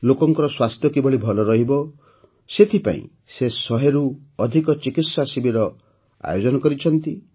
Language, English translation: Odia, To improve the health of the people, he has organized more than 100 medical camps